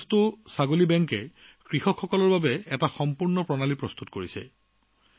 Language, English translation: Assamese, Manikastu Goat Bank has set up a complete system for the farmers